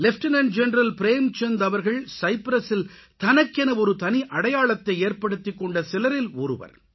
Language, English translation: Tamil, Lieutenant General Prem Chand ji is one among those Indian Peacekeepers who carved a special niche for themselves in Cyprus